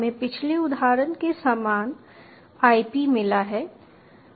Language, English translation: Hindi, ok, we have got the same ip as the previous example